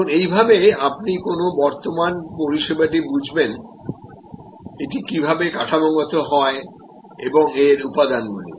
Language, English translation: Bengali, Now, this is how you understand an existing service and how it is structured and it is constituent’s part